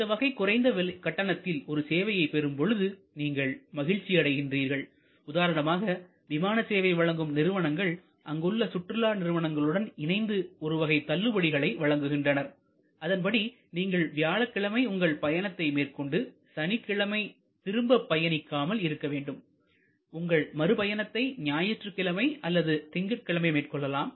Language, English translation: Tamil, So, you actually get your happiness at a lower price or sometimes airlines give a deal in consumption in the tourism board, that the, you will have to lower price if you travel on Thursday and do not return on Saturday, but you return on Sunday or you return on Monday